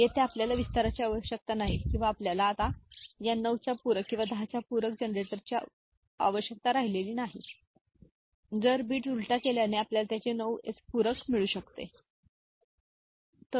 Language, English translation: Marathi, Here we do not need an elaborate or you now more complex these 9’s complement or 10’s complement generator circuit because inverting the bits we can get the 9s complement of this, ok